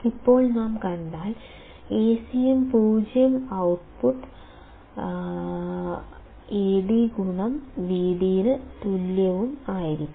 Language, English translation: Malayalam, Now if we see; ideally A cm must be 0 and output should be equal to Ad intoVd only